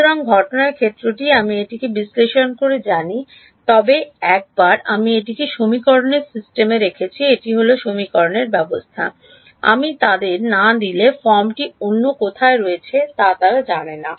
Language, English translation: Bengali, So, the incident field I know it analytically, but once I have put it into the system of equations it is the system of equations they do not; they do not know what the form is anywhere else unless I give it to them